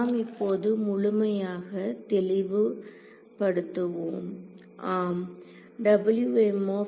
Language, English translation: Tamil, Let us clear let us make it fully clear now yes